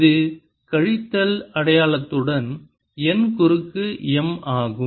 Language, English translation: Tamil, it is n cross m with the minus sign